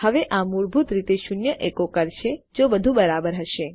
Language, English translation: Gujarati, Now this will basically echo out a zero if everything is clear